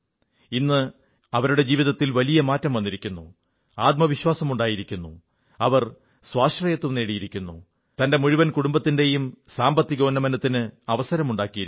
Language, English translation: Malayalam, At present, her life has undergone a major change, she has become confident she has become selfreliant and has also brought an opportunity for prosperity for her entire family